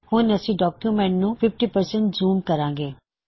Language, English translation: Punjabi, Let us zoom the document to 50%